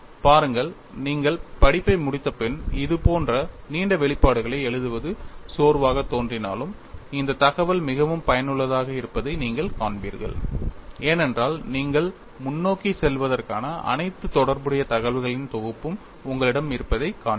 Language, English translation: Tamil, See, though it appears tiring to write such long expressions after you complete the course, you will find that this information is quite useful, because you will find you have a compendium of all the relevant information for you to carry forward